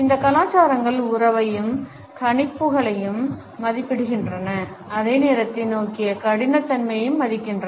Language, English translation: Tamil, These cultures value relationship and predictions more than they value rigidity towards time